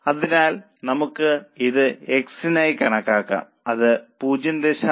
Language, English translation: Malayalam, So, let us calculate it for x